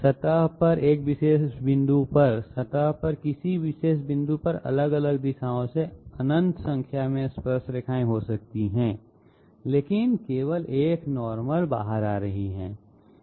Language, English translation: Hindi, At a particular point on the surface, there might be you know infinite number of tangents in different directions at a particular point on the surface but there is only one normal coming out